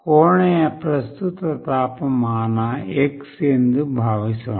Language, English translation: Kannada, Suppose the current temperature of the room is x